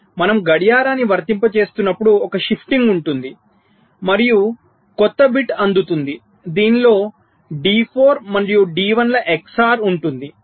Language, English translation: Telugu, so as we apply clock, there will be a shifting and a new bit will be getting in which will be the x or of d, four and d one